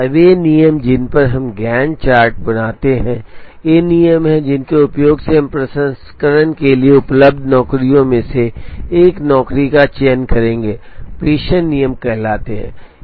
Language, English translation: Hindi, Now these rules on which we draw the Gantt chart are these rules, using which we will choose one job out of the available jobs for processing are called dispatching rules